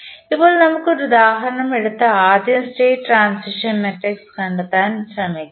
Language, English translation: Malayalam, Now, let us take an example and try to find out the state transition matrix first